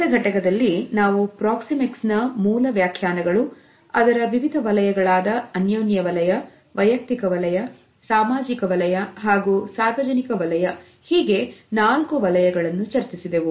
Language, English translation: Kannada, In the previous module we had discussed the basic definitions of Proxemics, what are the different zones namely the four zones of intimate social, personal and public distances